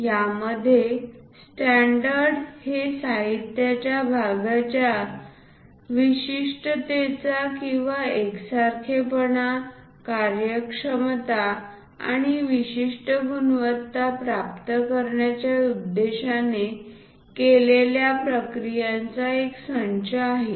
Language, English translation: Marathi, In this a standard is a set of specification of parts for materials or processes intended to achieve uniformity, efficiency and specific quality